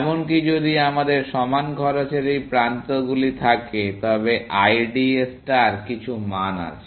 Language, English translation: Bengali, Even if we have these edges of equal cost, IDA star has some value